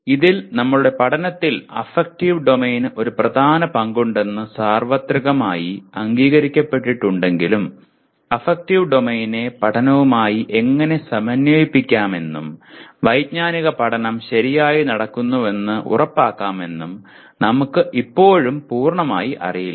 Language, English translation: Malayalam, Now, in this while it is universally acknowledged that affective domain has a major role to play in our learning but, we still do not know completely how to integrate the affective domain into learning and make sure that the cognitive learning takes place properly